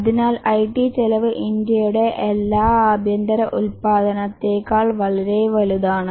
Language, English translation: Malayalam, So, the IT spending is even much more than all the domestic production of India is a huge